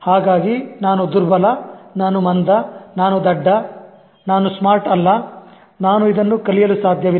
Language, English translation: Kannada, So I'm weak, I'm dull, I'm stupid, I'm not smart, I cannot learn this